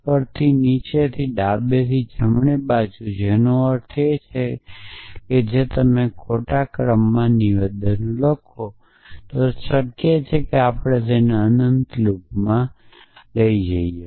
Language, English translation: Gujarati, Top to down and and left to right which means if you write statements in a wrong order it is possible we could get it into a infinite loop